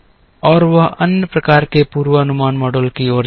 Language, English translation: Hindi, And that leads to other type of forecasting models